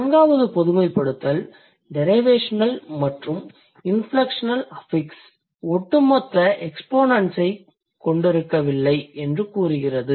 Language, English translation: Tamil, So, the fourth generalization says derivational and inflectional affixes do not have jointly cumulative exponents